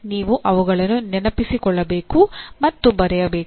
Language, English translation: Kannada, You have to recall them and write